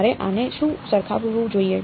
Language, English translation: Gujarati, What should I equate this to